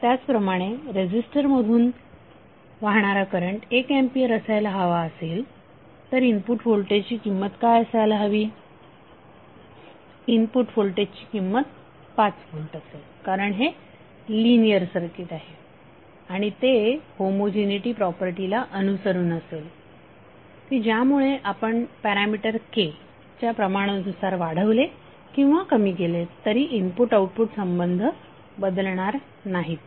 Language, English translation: Marathi, Similarly is you want to get current as 1 ampere through the resistor what would be the value of the voltage input, the voltage input value would be 5 volts because this is a linear circuit and it will follow the homogeneity property which says that if you scale up or scale down through some parameter K the input output relationship should not change